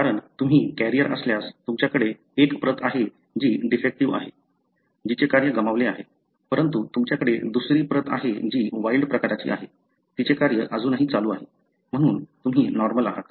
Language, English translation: Marathi, Because, if you are a carrier, you have one copy which is defective, lost its function, but you have other copy which is wild type, still doing a function, therefore you are normal